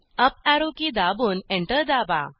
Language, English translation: Marathi, Press the uparrow key and press Enter